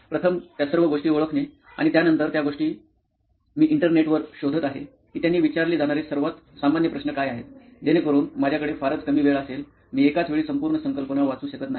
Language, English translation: Marathi, First, identifying all those things and then after that thing, I will search on Internet like what is the most common question that they ask, so that I have a very short time, I cannot read the whole concept in one time